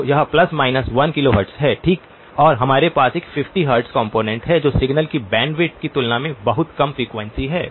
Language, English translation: Hindi, So that is plus minus 1 kilohertz okay and we have a 50 hertz component which is very low frequency compared to the bandwidth of the signal